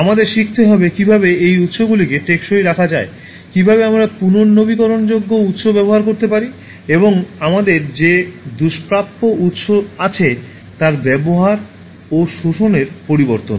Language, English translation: Bengali, We should learn how to keep these resources sustainable, how we can use renewable resources and instead of exploiting and depleting the scarce resources that we have